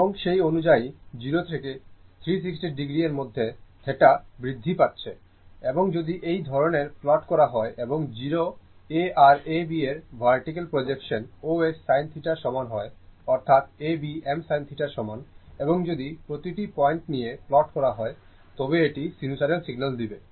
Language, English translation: Bengali, And accordingly theta is increasing theta in between 0 to 360 degree, and if you plot like this and O A and your vertical projection of A B is equal to os sin theta; that is, A B is equal to I m sin theta, and if you take each point and plot it it will give you sinusoidal your what you call sinusoidal signal, right